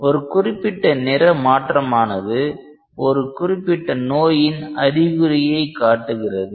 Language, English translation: Tamil, And a particular change of colour can give rise to the indication of a particular disease